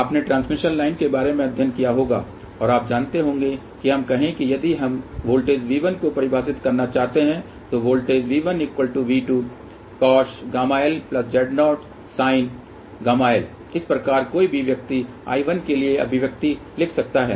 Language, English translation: Hindi, You might have studied about transmission line and you know that let us say if we want to define a voltage V 1 then voltage V 1 is nothing but equal to V 2 cos hyperbolic gamma l plus Z 0 sin hyperbolic gamma l, similarly one can write expression for I 1